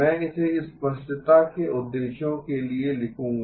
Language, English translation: Hindi, I will just write it for the purposes of clarity